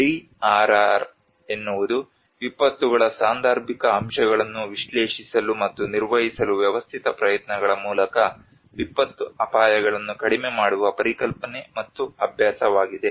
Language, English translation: Kannada, The DRR is a concept and practice of reducing disaster risks through a systematic efforts to analyse and manage the casual factors of disasters